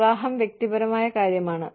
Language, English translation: Malayalam, Marriage is a personal matter